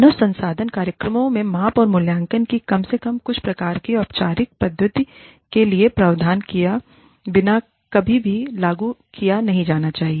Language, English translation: Hindi, Human resources program should never be implemented, without a provision, for at least some type of, formal method of measurement and evaluation